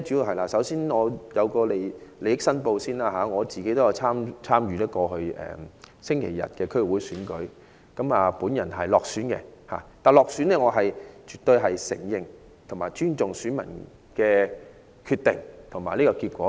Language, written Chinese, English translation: Cantonese, 我首先作利益申報，我也有參與上星期日的區議會選舉，我落選了，但我絕對承認及尊重選民的決定及選舉結果。, I have to declare interest first . I also ran in the DC Election last Sunday and I lost . But I fully recognize and respect voters decisions and the election result